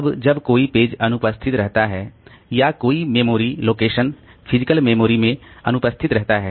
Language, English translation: Hindi, Now, when a page is absent or a memory location is absent in the physical memory, so there may be two situations